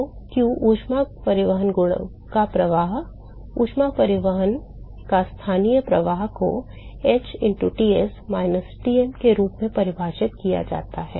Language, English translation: Hindi, So, q the flux of heat transport the local flux of heat transport defined as h into Ts minus Tm right